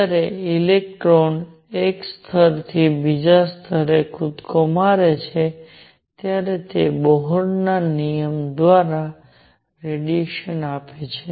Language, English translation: Gujarati, When an electron makes a jump from one level to the other it gives out radiation by Bohr’s rule